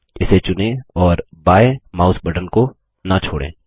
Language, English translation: Hindi, Select it, and do not release the left mouse button